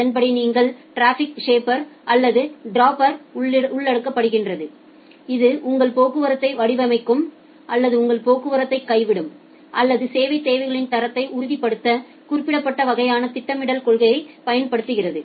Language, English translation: Tamil, And accordingly you include the traffic shaper or dropper which will shape your traffic or drop your traffic or apply certain kind of scheduling policy to ensure the quality of service requirements